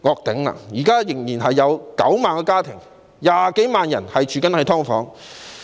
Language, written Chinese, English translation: Cantonese, 現時仍有9萬多個家庭、20多萬人居於"劏房"。, At present some 200 000 people from over 90 000 households are living in subdivided units